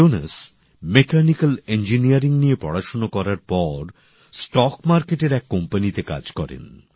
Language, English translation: Bengali, Jonas, after studying Mechanical Engineering worked in his stock market company